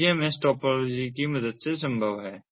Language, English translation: Hindi, so this is possible with the help of the meshtopology